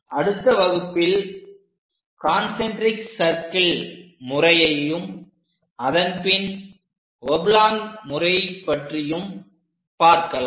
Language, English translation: Tamil, In the next class, we will learn about concentric circle method and thereafter oblong method